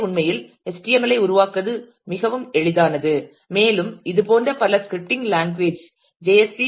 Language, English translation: Tamil, So, it becomes quite easy to actually create the HTML and there several such scripting language is JSP and PHP are the most popular ones